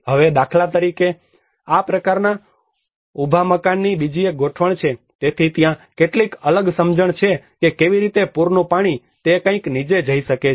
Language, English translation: Gujarati, Now, for instance, there is another setting of this kind of a raised house so there are some different understanding how maybe the flood water can go beneath something like that